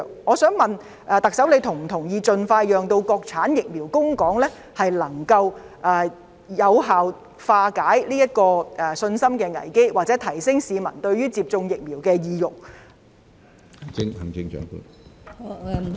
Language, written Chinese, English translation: Cantonese, 我想問特首她是否同意，盡快讓國產疫苗供港能夠有效化解這個信心危機或提升市民接種疫苗的意欲？, I wish to ask the Chief Executive Does she concur that the prompt supply of Mainland - manufactured vaccines to Hong Kong can effectively resolve such a confidence crisis or raise peoples intention to be vaccinated?